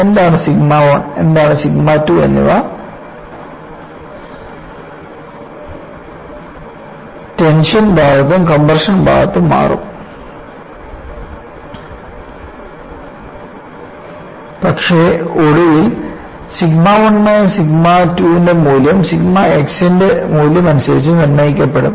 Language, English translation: Malayalam, What is sigma 1 and what is sigma 2 will change in the tension side and compression side, but eventually, the value of sigma 1 minus sigma 2 will be dictated by the value of sigma x